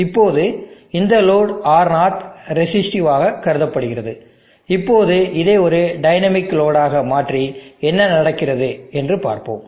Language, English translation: Tamil, Now this load R0 is conductor resistive, now let us make this into a dynamic load and see what happens